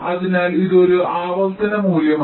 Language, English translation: Malayalam, so this an iterative value